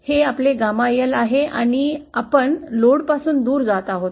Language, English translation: Marathi, This is our gamma L and this is we are going away from the load